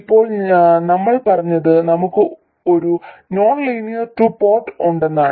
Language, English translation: Malayalam, We have a nonlinear 2 port